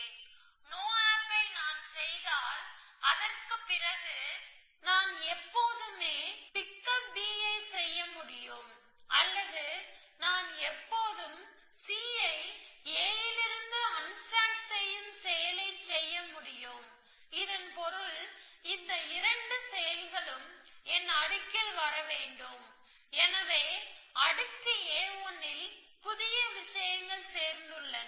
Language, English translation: Tamil, If I do a no op then I can always do a pick up b after that essentially or I can always do a unstack c a, after that which means these 2 actions must come in my layer, so everything which is there in a 1 plus something new